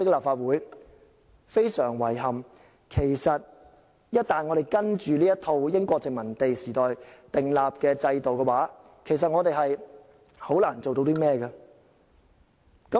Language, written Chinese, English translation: Cantonese, 非常遺憾，我們只能遵從這套英國殖民地時代訂立的制度，難以做到甚麼。, Regrettably we must comply with the system put in place in the British colonial era and there is hardly anything we can do